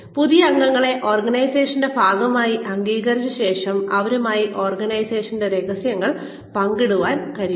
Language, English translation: Malayalam, After the new members are accepted as part of the organization, they are able to share organizational secrets